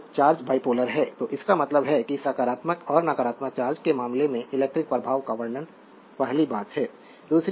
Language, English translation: Hindi, So, charge is bipolar so, it means electrical effects are describe in terms of positive and your negative charges the first thing